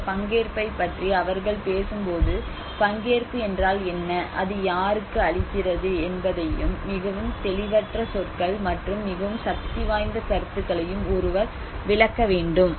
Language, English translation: Tamil, When they talk about participation, one has to interpret exactly what participation means and to whom it renders and the most ambiguous terms and the most powerful of concepts